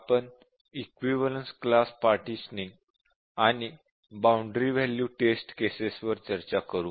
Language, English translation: Marathi, Welcome to this session, we will discuss about the Equivalence Class Partition and the Boundary Value Test Cases